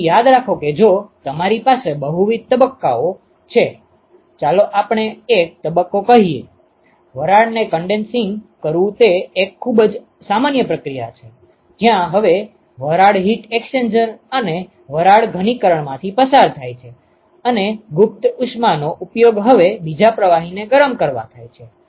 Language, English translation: Gujarati, So, remember that if you have multiple phases, let us say one of the phase is let us say condensing steam it is a very common process where steam is now passed through the heat exchanger and the steam condenses and the latent heat is now used to heat another fluid